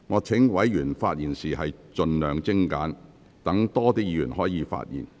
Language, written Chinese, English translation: Cantonese, 請委員發言時盡量精簡，讓更多委員可以發言。, Will Members please speak as concisely as possible so that more Members will have the chance to speak